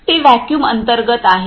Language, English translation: Marathi, That is under the vacuum